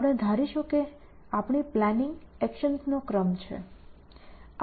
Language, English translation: Gujarati, We will assume that our plan is a sequence of actions